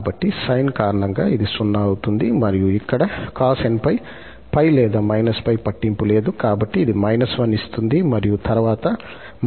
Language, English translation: Telugu, So, because of the sine, this will become 0 and here, cos n pi, whether plus or minus pi does not matter, so, it gives minus 1 power n and then minus 1 power n is already there